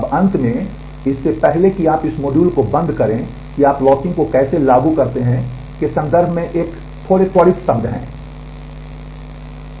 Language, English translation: Hindi, Now finally, before you close this module a quick word in terms of how do you implement locking